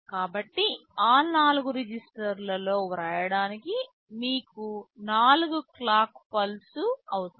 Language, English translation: Telugu, So, to write into those 4 registers you need 4 clock pulses